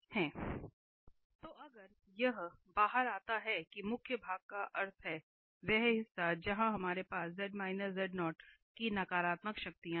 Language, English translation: Hindi, And if it comes out to be that the principal part meaning the portion where we have the negative powers of z minus z naught